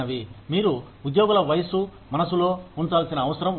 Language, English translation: Telugu, You need to keep, the age of employees in mind